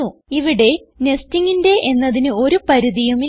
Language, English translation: Malayalam, There is no limit to the amount of nesting